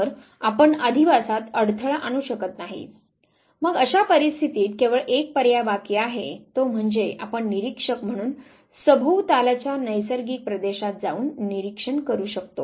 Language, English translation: Marathi, So, you can not disturb the habitat ,so in that case the only option left is that you as an observer go the naturalistic surrounding and then you make the observation